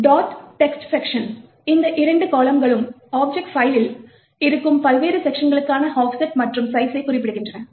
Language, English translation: Tamil, For example, the dot text section, these two columns specify the offset and the size for the various sections present in the object file